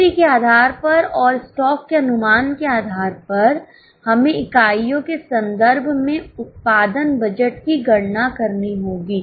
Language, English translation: Hindi, Based on sales and based on the estimation of stock we will have to calculate the production budget in terms of units